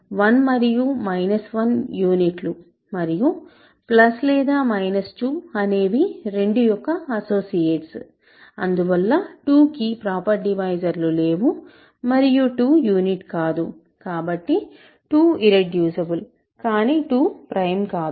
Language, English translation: Telugu, 1 and minus 1 are units, and 2 and plus minus plus minus 2 are associates of 2, hence 2 has no proper divisors and 2 is not a unit, so 2 is irreducible